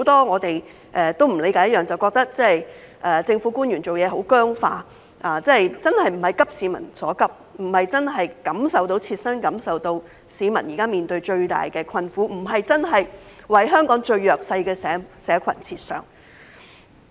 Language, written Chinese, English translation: Cantonese, 我們都不理解，政府官員做事很僵化，不是"急市民所急"，沒有切身感受市民現時面對的最大困苦，不是為香港最弱勢的社群設想。, We do not understand why government officials are so rigid and they are not addressing the needs of the people . They are not acutely aware of the greatest hardship that the public are facing and they do not think about the most disadvantaged groups in Hong Kong